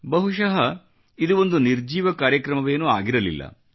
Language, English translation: Kannada, Perhaps, this was not a lifeless programme